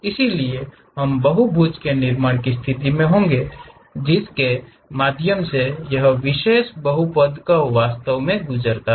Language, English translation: Hindi, So, that we will be in a position to construct a polygons, through which this particular polynomial curve really passes